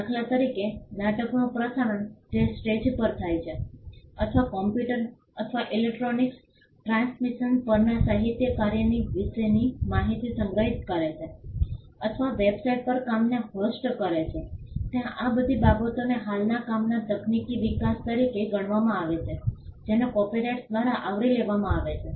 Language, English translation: Gujarati, For instance, broadcasting the play which happens on a stage or storing information about a literary work on a computer or electronic transmission or hosting the work on a website all these things are regarded as technological developments of an existing work they are also covered by copyright